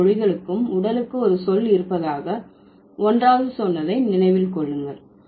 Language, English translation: Tamil, Remember, one was about all languages have body, has a, all languages have a word for body